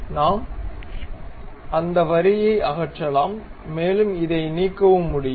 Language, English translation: Tamil, We can remove that line and also this one also we can remove